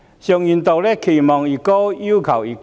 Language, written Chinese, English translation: Cantonese, 常言道："期望越高，要求越高。, As a common saying goes With greater expectation comes higher demand